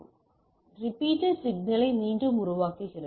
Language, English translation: Tamil, So, repeater regenerates the signal